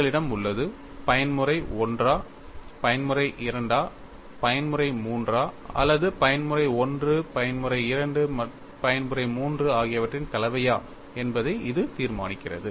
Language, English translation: Tamil, That is what is determining whether you have mode 1, mode 2, mode 3 or combination of mode 1, mode 2, mode 3